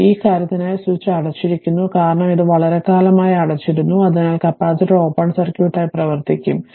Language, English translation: Malayalam, So, for this for this thing switch is closed; and for it was it remain closed for long time, so capacitor will act as open circuit